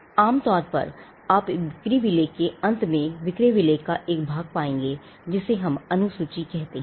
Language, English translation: Hindi, In a sell deed typically, you would find towards the end of the sale deed, a portion of the sale deed what we call the schedule